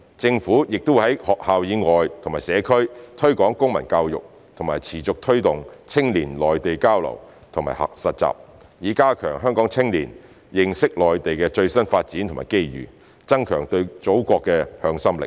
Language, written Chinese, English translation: Cantonese, 政府亦會在學校以外和社區推廣公民教育，並持續推動青年內地交流及實習，以加強香港青年認識內地的最新發展和機遇，增強對祖國的向心力。, Besides the Government will also promote civic education outside schools and in the community and continue to promote youth exchange and internship on the Mainland with a view to enhancing Hong Kong young peoples understanding of the latest development and opportunities in the Mainland thereby strengthening their sense of belonging to the Motherland